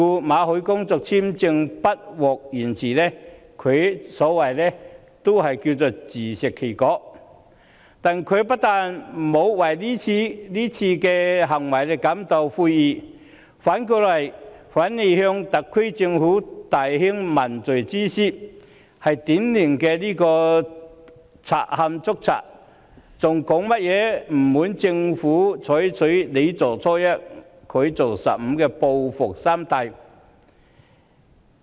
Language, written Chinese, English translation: Cantonese, 馬凱的工作簽證不獲延續，可謂自食其果，但她沒有為此感到悔意，反而向特區政府大興問罪之師，這是典型的賊喊捉賊，她還表示不滿特區政府採取"你做初一，他做十五"的報復心態。, The work visa of Victor MALLET is not renewed; it can be said that he suffered the consequence of his own doing . However Ms MO felt no remorse but even pointed an accusing finger at the SAR Government . This is a typical example of a thief crying stop thief